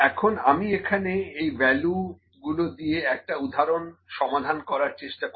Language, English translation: Bengali, Now, I will try to solve an example here, for all these values